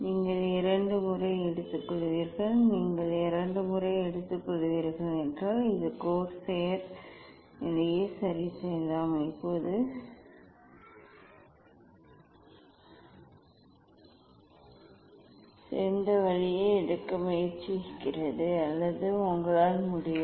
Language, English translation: Tamil, you take twice you take twice you can adjust these corsair position tries to take better way now or you can